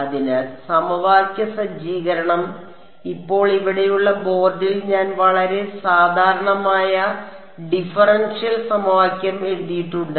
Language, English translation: Malayalam, So, the equation setup, now on the board over here I have written very generic differential equation